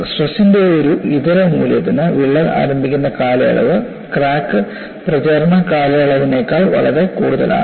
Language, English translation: Malayalam, For a given alternating value of stress, the crack initiation period is much longer than the crack propagation period